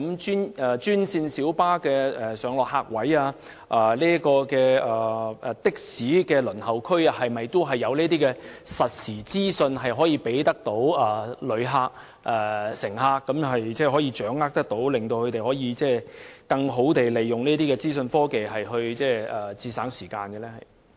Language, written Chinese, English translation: Cantonese, 專線小巴的上落客位及的士輪候區會否提供實時資訊予旅客及乘客，讓他們更易掌握時間，或更好地利用資訊科技節省時間呢？, Will real - time information be provided to visitors and passengers at the pick - up and drop - off spaces for franchised minibuses and the taxi queuing area so that they may have a easier grasp of time or save some time with the better use of information technology?